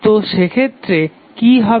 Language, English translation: Bengali, So what will happen in that case